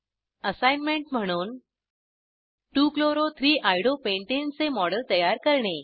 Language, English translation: Marathi, As an assignment, Create a model of 2 chloro 3 Iodo pentane